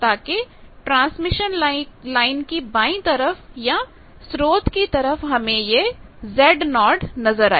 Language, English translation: Hindi, So, that from the transmission line in the left or source side you see a Z naught thing